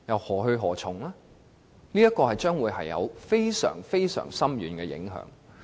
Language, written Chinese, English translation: Cantonese, 政府的做法將會造成非常深遠的影響。, The Governments approach will cause extremely far - reaching consequences